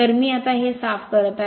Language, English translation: Marathi, So, I am now cleaning it